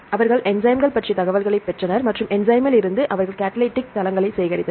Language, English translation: Tamil, They got the information regarding enzymes and from the enzyme, they collected the catalytic sites